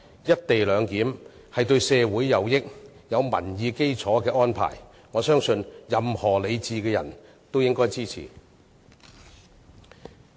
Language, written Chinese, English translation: Cantonese, "一地兩檢"是對社會有裨益並具民意基礎的安排，我相信任何理智的人也應支持。, The co - location arrangement supported by the public and it will benefit the community . I believe any sensible person should support it